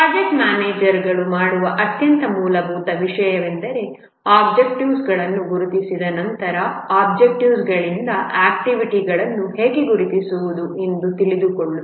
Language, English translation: Kannada, One of the most fundamental things that the project manager does is once the objectives have been identified, how to identify the activities from the objectives